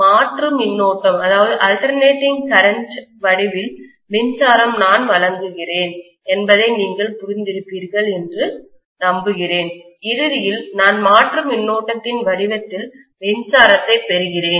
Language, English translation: Tamil, I hope you understand because I am providing electricity in the form of alternating current, I am also reaping ultimately electricity in the form of alternating current